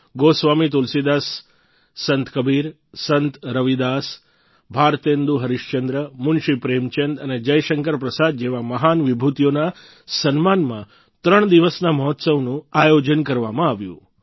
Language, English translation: Gujarati, A threeday Festival was organized in honour of illustrious luminaries such as Goswami Tulsidas, Sant Kabir, Sant Ravidas, Bharatendu Harishchandra, Munshi Premchand and Jaishankar Prasad